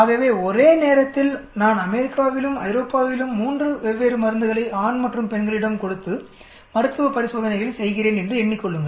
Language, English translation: Tamil, So imagine I am performing clinical trials in USA and Europe simultaneously, on 3 different drugs on male and female